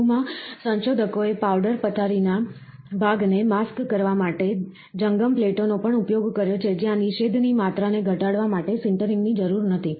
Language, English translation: Gujarati, In addition, researchers have also utilized movable plates to mask portion of the powder bed, where no sintering is required, in order to minimise the amount of inhibition